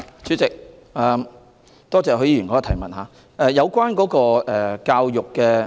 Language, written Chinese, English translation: Cantonese, 主席，多謝許議員的補充質詢。, President I thank Mr HUI for his supplementary question